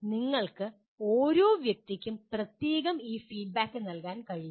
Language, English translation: Malayalam, You cannot give this feedback to each and every individual separately